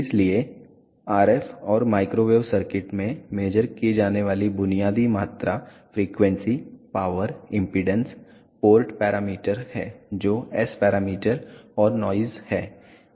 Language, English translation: Hindi, So, the basic quantities which are measured in RF and microwave circuits are frequency, power impedance, port parameters which are S parameters and noise